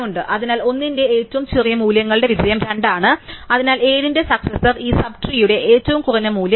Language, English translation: Malayalam, Therefore, there is a success of for 1 the smallest values 2, so that is the successor for 7 the minimum value in this sub tree is 8